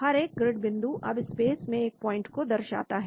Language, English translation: Hindi, Each grid points now define a point in space